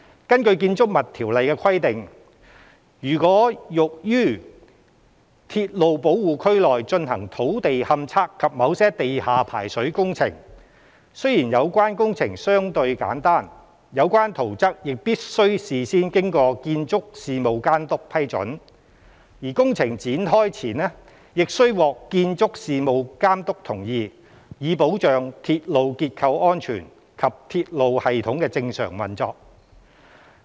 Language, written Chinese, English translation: Cantonese, 根據《條例》的規定，如欲於鐵路保護區內進行土地勘測及某些地下排水工程，雖然有關工程相對簡單，有關圖則亦必須事先經建築事務監督批准，而工程展開前亦須獲建築事務監督同意，以保障鐵路結構安全及鐵路系統的正常運作。, Under the Ordinance ground investigation and certain underground drainage works to be carried out in railway protection areas require prior approval of plans and consent to the commencement of works by the Building Authority though these works are relatively simple . This is to safeguard railway structures and the normal operation of the railway system